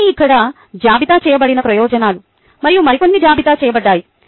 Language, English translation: Telugu, these are all the advantages that are listed here and a few more are listed